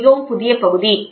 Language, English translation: Tamil, This is a very new field